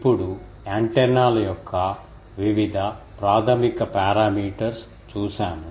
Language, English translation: Telugu, Now, we have seen various basic parameters of antennas